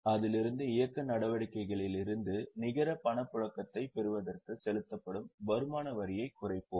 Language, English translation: Tamil, From that we reduce income tax paid to finally get net cash flow from operating activities